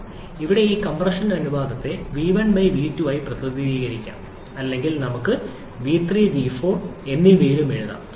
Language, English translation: Malayalam, So, this compression ratio here can be represented as v1/v2 as well or we can write in terms of v3 and v4 as well